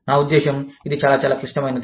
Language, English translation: Telugu, I mean, it is very, very, very complex